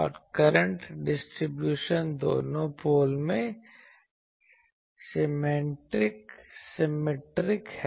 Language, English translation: Hindi, And the current distribution is symmetric in both the poles